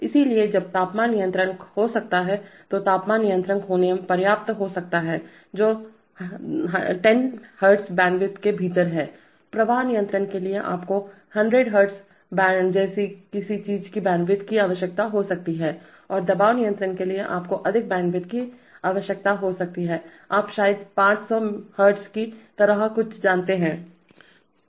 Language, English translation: Hindi, So while a temperature controller may be, it may be adequate to have a temperature controller which is, within say 10Hz, for flow control you may require a bandwidth of something like 100Hz, and for pressure control you may require even higher bandwidth, you know something like maybe 500Hz